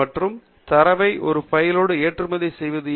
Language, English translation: Tamil, And why do we need to export the data as a bib file